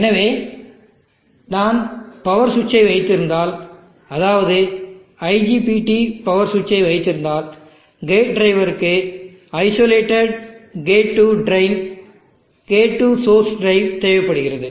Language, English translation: Tamil, So if I am having power switch an IGPT power switch where the gate drive requirement needs isolate get to drain, get to source drive